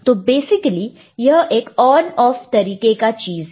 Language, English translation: Hindi, So, it is basically again an on off kind of thing